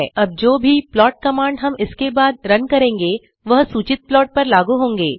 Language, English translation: Hindi, All the plot commands we run hereafter are applied on the selected plot